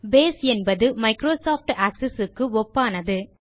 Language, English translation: Tamil, Base is the equivalent of Microsoft Access